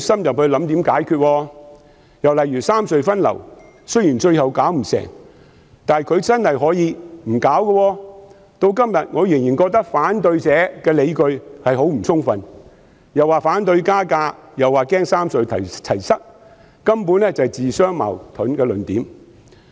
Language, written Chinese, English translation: Cantonese, 又例如三隧分流，雖然最後做不到，但她其實真的可以不去處理，至今我仍然覺得反對者的理據很不充分，既說反對加價，又說擔心"三隧齊塞"，根本是自相矛盾。, Take the rationalization of traffic distribution among the three road harbour crossings RHCs as another example though it could not be realized in the end she could actually have kept her hands off the issue . To date I still find the opponents arguments most untenable